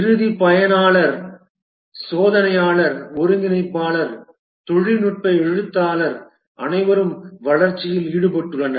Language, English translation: Tamil, The end user, the tester, integrator, technical writer, all are involved in the development